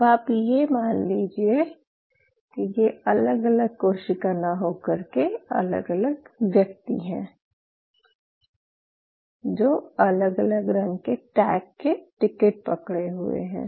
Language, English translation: Hindi, If you consider these as different cells, instead of these are individuals who are holding different color tag of tickets